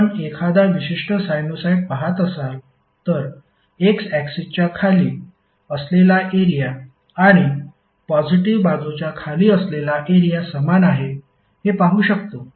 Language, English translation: Marathi, Let us see if you see a particular sinusoid, the area under the positive side would be equal for area below the x axis